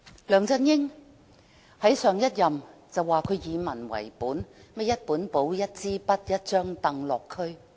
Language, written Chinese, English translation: Cantonese, 梁振英在上任時聲稱自己以民為本，會帶一本簿、一支筆、一張櫈落區。, When LEUNG Chun - ying assumed office he claimed that he would take a people - oriented approach and visit the districts with a notebook a pen and a folding stool